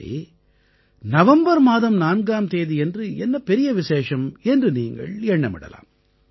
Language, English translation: Tamil, Now, you would be wondering, what is so special about 4th of November